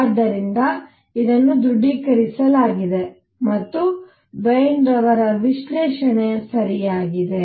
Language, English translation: Kannada, So, this is confirmed and therefore, Wien’s analysis was correct